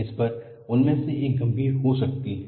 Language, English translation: Hindi, On this, one of the may be critical